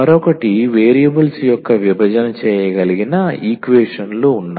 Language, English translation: Telugu, The other one there are equations which can be reduced to the separable of variables